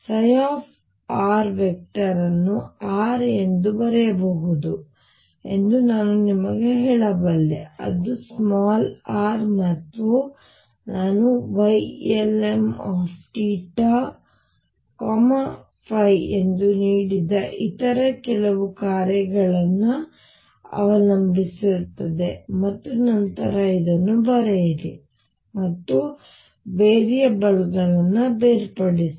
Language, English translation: Kannada, I could tell you that psi r vector can be written as R which depends only on r and some other function which I have given as Y lm theta and phi and then write this and do separation of variables